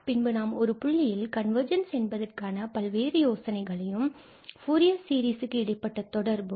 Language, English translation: Tamil, Then, we will come to the point of this different notion of convergence in the connection of the Fourier series that how this is related